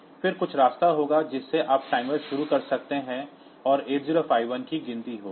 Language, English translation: Hindi, So, then we there some way by which you can start the timer and 8051 will count up